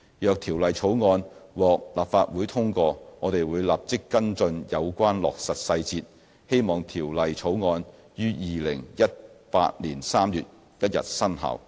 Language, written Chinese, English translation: Cantonese, 若《條例草案》獲立法會通過，我們會立即跟進有關落實細節，希望《條例草案》於2018年3月1日生效。, If the Bill is passed by the Legislative Council we will immediately follow up the details of its implementation so that the Bill will hopefully come into operation on 1 March 2018